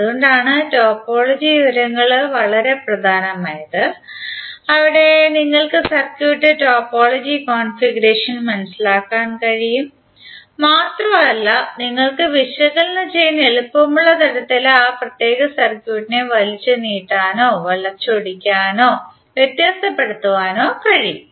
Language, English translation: Malayalam, So that is why the topology information is very important where you can understand the topology configuration of the circuit and you can stretch, twist or distort that particular circuit in such a way that it is easier you to analyze